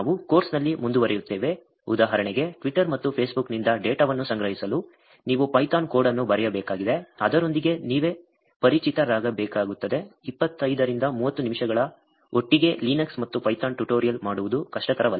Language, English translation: Kannada, As we move forward in the course, for example, you need to write Python code to collect the data from Twitter and Facebook, you will have to get yourself familiarized with that, it is not that the difficult the tutorials about 25 to 30 minutes together Linux and python